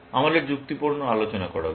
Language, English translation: Bengali, We should give a rational argument